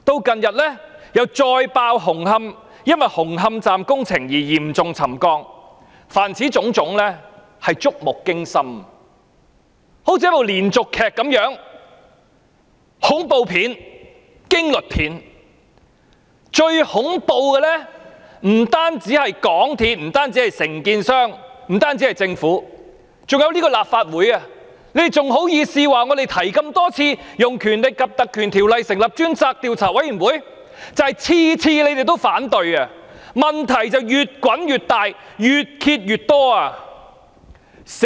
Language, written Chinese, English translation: Cantonese, 近日又再爆出紅磡站工程導致嚴重沉降事件，凡此種種均是觸目驚心，猶如連續劇一樣，又好像是恐怖片、驚慄片，而最恐怖的不單是港鐵公司、承建商和政府，還有這個立法會，你們還好意思指我們多次提出引用《立法會條例》成立專責委員會，這正正是因為每次你們都反對，才令問題越滾越大、越揭越多。, Coupled with the recent exposure of serious settlement caused by the construction works of the Hung Hom Station all of these incidents are so startling that they can be likened to a drama series or to a horror or thriller movie . What have been most terrifying are not only MTRCL the contractor and the Government but also this Legislative Council and you people are even so shameless as to accuse us of repeatedly proposing invoking the Legislative Council Ordinance to set up a select committee . It is precisely because of your opposition whenever this proposal was made that the ills have snowballed and proliferated